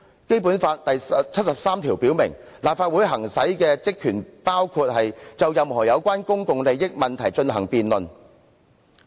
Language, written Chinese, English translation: Cantonese, 《基本法》第七十三條表明立法會行使的職權包括"就任何有關公共利益問題進行辯論"。, Article 73 of the Basic Law provides that the powers and functions exercised by the Legislative Council include [debating] any issue concerning public interests . The original motion in question precisely concerns public interests